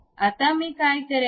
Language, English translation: Marathi, Now, what I will do